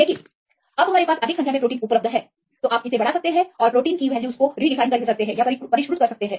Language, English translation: Hindi, But now we have more number of proteins available, you can extend it and you can refined the values